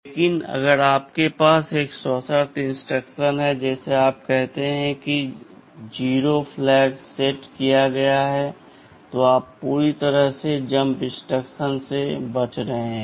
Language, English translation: Hindi, But if you have a conditional instruction, like you say add if 0 flag is set, then you are avoiding the jump instruction altogether